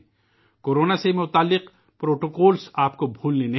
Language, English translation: Urdu, You must not forget the protocols related to Corona